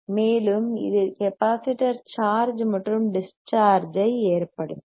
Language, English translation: Tamil, And this will cause the capacitor to charge charging aand discharging;e